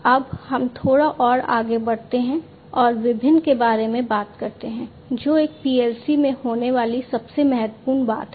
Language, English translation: Hindi, Now, let us go little further and talk about the different, the most important thing that happens in a PLC